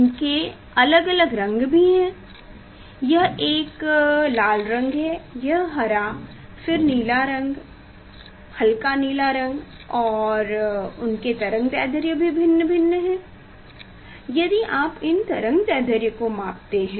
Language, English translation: Hindi, it has also different colors it s a red color, this green, then blue color, light blue color and their wavelength also its this